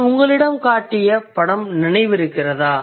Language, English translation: Tamil, You remember I showed you that picture